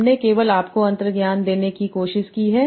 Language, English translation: Hindi, I have only tried to give you the intuition